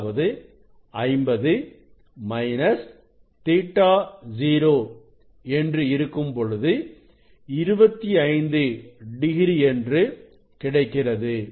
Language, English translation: Tamil, now, it is a 50 minus theta 0 means 25 degree 25 degree